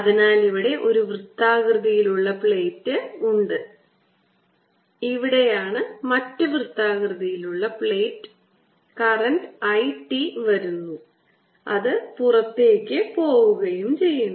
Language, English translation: Malayalam, so here is the circular plate, here is the other circular plate current i is coming in, i t and its going out